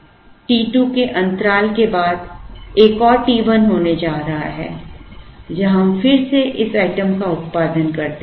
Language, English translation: Hindi, There is going to be another t 1 after a gap of t 2, where we produce this item again